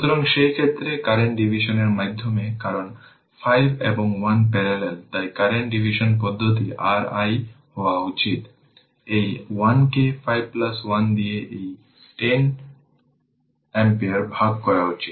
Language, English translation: Bengali, So, in that case through the current division because 5 and 1 are in parallel, so current division method your i should be is equal to this is 1 divided by 5 plus 1 right into this 10 ampere right into 10 ampere